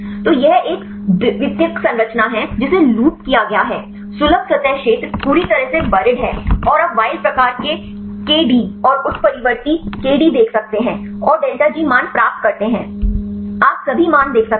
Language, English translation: Hindi, So, this is a secondary structure is looped, accessible surface area is completely buried and you can see the wild type K D and mutant K D and have the delta G values you can see all the values